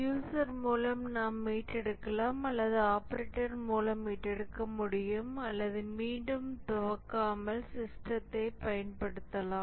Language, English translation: Tamil, Either the user himself or with the operator could recover and again without rebooting we could use the system